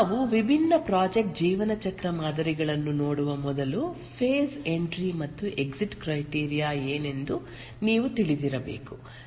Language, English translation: Kannada, Before we look at the different project lifecycle models, we must know what is the phase entry and exit criteria